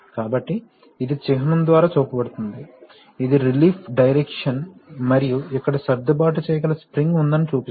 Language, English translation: Telugu, So, this is shown by the symbol that, this is the relief direction and this shows that there is an adjustable spring here